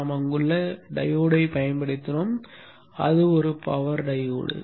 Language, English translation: Tamil, We used a diode there and it was a power diode